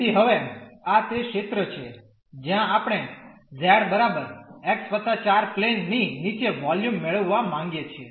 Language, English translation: Gujarati, So, now this is the region where we want to get the volume below the z is equal to x plus 4 plane